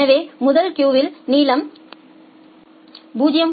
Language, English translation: Tamil, So, the first queue has length of 0